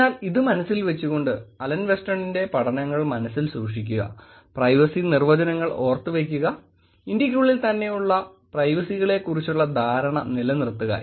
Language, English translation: Malayalam, So, keeping this in mind, there was, keeping the Alan Weston’s studies in mind, keeping the privacy definitions, keeping the understanding of privacy within India itself